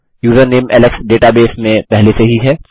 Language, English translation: Hindi, The username alex is already in the database